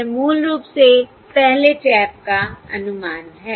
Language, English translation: Hindi, This is basically the estimate of the first tap